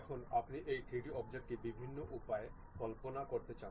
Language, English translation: Bengali, Now, you would like to visualize this 3D object in different ways